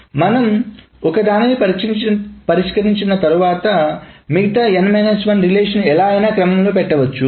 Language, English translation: Telugu, The reason is once you fix the one thing, the other n minus 1 relations can go anywhere